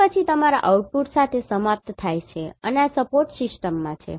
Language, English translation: Gujarati, And then end with your output and this is in support system right